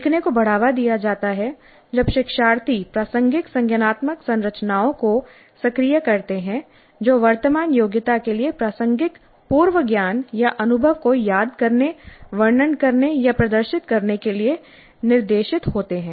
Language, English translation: Hindi, Learning is promoted when learners activate a relevant cognitive structures by being directed to recall, describe or demonstrate the prior knowledge or experience that is relevant to the current competency